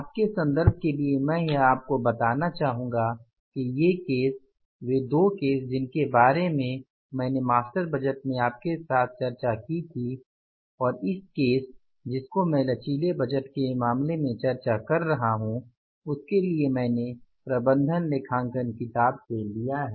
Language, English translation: Hindi, For your reference I would like to tell you that these cases, the two cases which I discussed with you in the master budget and this case which I am discussing in case of the flexible budget I have referred to the book that is management accounting